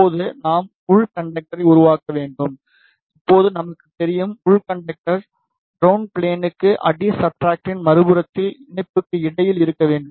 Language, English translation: Tamil, And we know, now that the inner conductor should be between the ground plane and the patch that is on the other side of the substrate